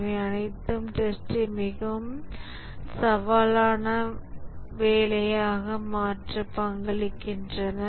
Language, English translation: Tamil, So, these all contribute to making testing a very challenging work